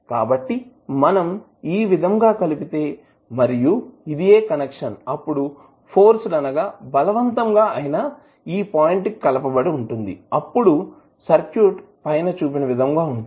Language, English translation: Telugu, So, if you apply this and this is the connection then it will be forced to connect to this particular point and your circuit would be like this